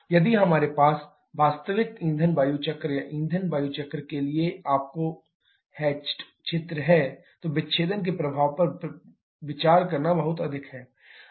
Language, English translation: Hindi, If we have this out your hatched area for the actual fuel air cycle or fuel air cycle considering the effect of dissociation is this much